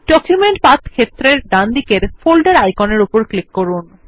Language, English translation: Bengali, Click on the folder icon to the right of the Document Path field